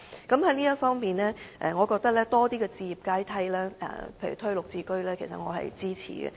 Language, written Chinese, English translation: Cantonese, 在這方面，政府提供更多置業階梯，例如"綠表置居計劃"，我對此表示支持。, In this regard the Governments provision of additional housing ladders such as the Green Form Subsidised Home Ownership Scheme GSH commands my support